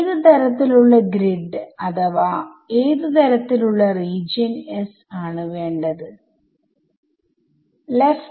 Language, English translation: Malayalam, So, what kind of a grid or what kind of a region S will be suitable now